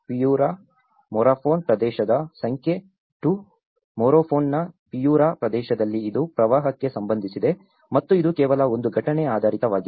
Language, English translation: Kannada, Number 2 which is of Piura Morropón region; in Piura region in Morropón which has been associated with the floods and it is not just only a one event oriented